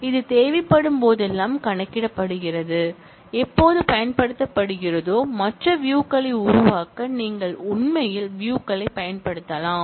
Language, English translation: Tamil, It is computed whenever it is needed, whenever it is used, you can actually use views to create other views